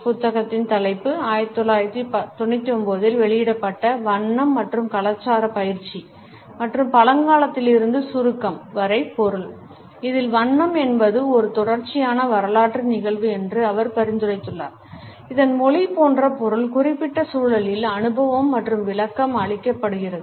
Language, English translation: Tamil, The title of the book is Color and Culture Practice and Meaning from Antiquity to Abstraction published in 1999, wherein he has suggested that color is a contingent historical occurrence whose meaning like language lies in the particular context in which it is experienced and interpreted